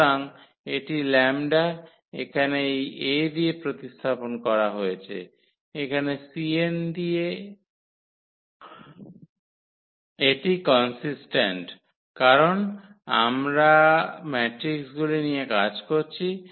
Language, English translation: Bengali, So, it is just the lambda is replaced by this A here and with the c n to make it consistent because, now we are working with the matrices